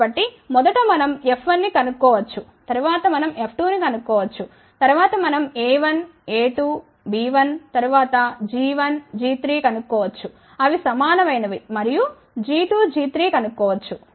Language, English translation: Telugu, So, first we calculate F 1, then we calculate F 2 then we calculate a 1, a 2, b 1 then g 1, g 3 which are equal and g 2